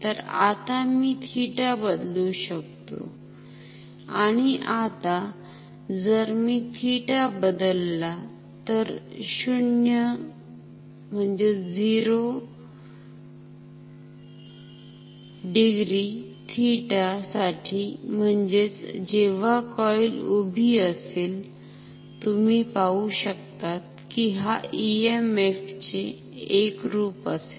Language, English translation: Marathi, So, I can change theta and now if I change theta, so for 0 degree theta, that means, when the coil is vertical you see that this will be the form of the EMF ok